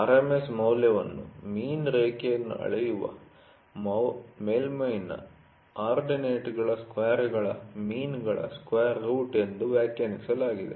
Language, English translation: Kannada, The RMS value is defined as the square root of means of squares of the ordinates of the surface measured from a mean line